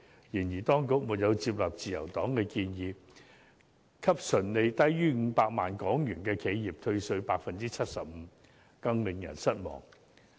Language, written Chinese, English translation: Cantonese, 再者，當局亦沒有接納自由黨的建議，向純利低於500萬港元的企業退稅 75%， 更令人失望。, It is also disappointing that the authorities do not accept the Liberal Partys proposal to reduce tax by 75 % for enterprises which earn an annual net profit of less than 5 million